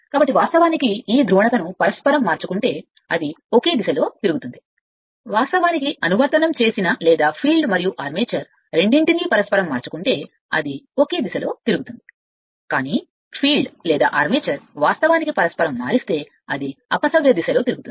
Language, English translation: Telugu, So, if you interchange this polarity also it will rotate in the same direction, if you interchange both filed or both field and armature, it will rotate in the same direction, but either field or armature, if you interchange then it will rotate in the reverse direction right